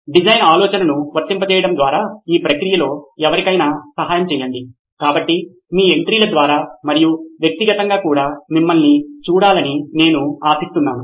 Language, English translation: Telugu, Help somebody in the process by applying design thinking, so I hope to see you through your entries and probably in person as well